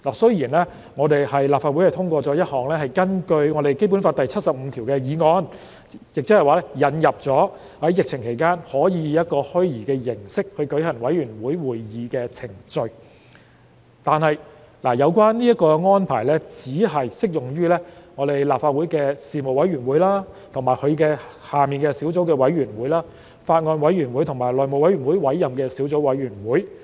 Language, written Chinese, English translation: Cantonese, 雖然立法會通過一項根據《基本法》第七十五條訂立的議案，以引入在疫情期間以虛擬形式舉行委員會會議的程序，但這項安排只適用於立法會的事務委員會及其轄下的小組委員會、法案委員會，以及由內務委員會委任的小組委員會。, Though the Legislative Council has passed a motion under Article 75 of the Basic Law to introduce a procedure for the conduct of committee meetings virtually during the COVID - 19 pandemic the arrangement is only applicable to the Panels of the Legislative Council and their subcommittees